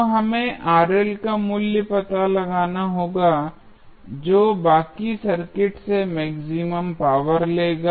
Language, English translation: Hindi, So, we have to find out the value of Rl which will draw the maximum power from rest of the circuit